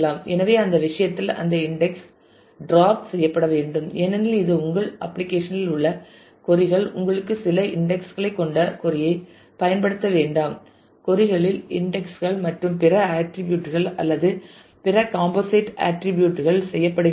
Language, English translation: Tamil, So, in that case that index should be drop because it is not helping you the queries in your application do not use the index the query you have certain indexes and the queries are done on other attributes or other composite attributes